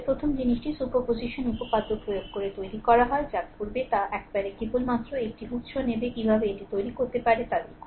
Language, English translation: Bengali, First thing is by making your applying superposition theorem, what will do is, once you will take only one source at a time look how you can make it